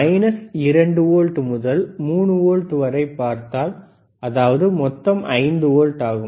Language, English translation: Tamil, iIf you see minus 2 volt to 3 volts; that means, total is 5 volts